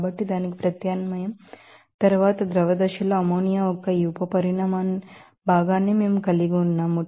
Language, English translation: Telugu, So, after substitution of that, we are having these sub volume fraction of ammonia in the liquid phases